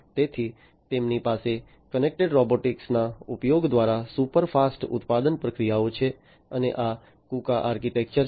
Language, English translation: Gujarati, So, they have super fast manufacturing processes through, the use of connected robotics and this is the KUKA architecture